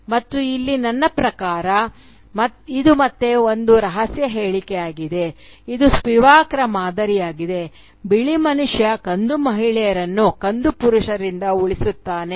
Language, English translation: Kannada, " And here, I mean, this is again a cryptic statement, typical of Spivak, "white man saving brown women from brown men